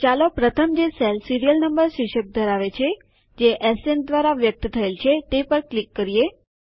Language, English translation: Gujarati, So let us first click on the cell which contains the heading Serial Number, denoted by SN